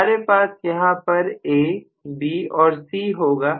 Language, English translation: Hindi, So this is again A, B and C